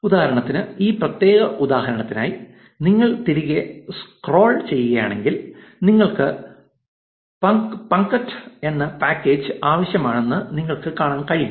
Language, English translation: Malayalam, So, for example, for this particular example, if you scroll back, you can see that you needed something called; you needed a package called punkt